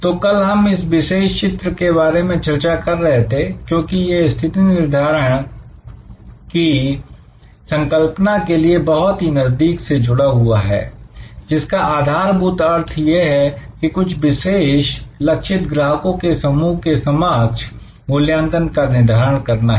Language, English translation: Hindi, So, we were discussing yesterday this particular diagram, because this is very closely associated with the whole concept of positioning, which fundamentally means creating a set of values for a certain targeted group of customers